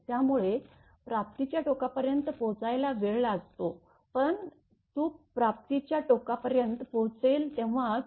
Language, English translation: Marathi, So, it takes time to reach to the receiving end, but as soon as when it will reach to the receiving end say